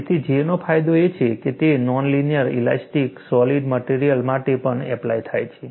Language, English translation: Gujarati, So, the advantage of J is, it is applicable for non linear elastic solids too